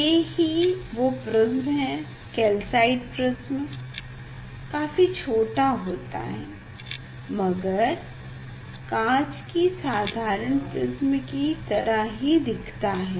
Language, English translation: Hindi, this is the prism, this is the calcite prism very small prism, it is similar to the glass prism it is similar to the glass prism